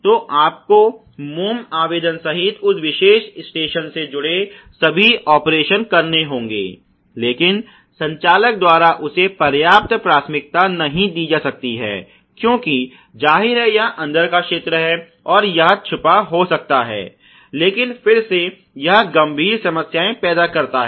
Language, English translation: Hindi, So, you have to do all operations associated with that particular station including the wax application, and that may not be given enough priority by the operator, because obviously, it is inside the area and it may go undetected, but again it create severe problems or severe impacts on the overall qualities